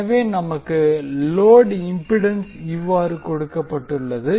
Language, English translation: Tamil, So, we have load impedance as given